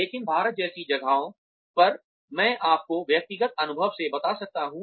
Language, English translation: Hindi, But, in places like India, I can tell you from personal experience